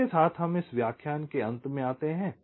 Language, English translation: Hindi, ok, so with this we come to the end of this lecture